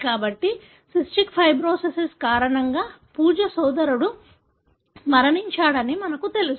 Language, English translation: Telugu, So, what we know is Pooja’s brother passed away because of cystic fibrosis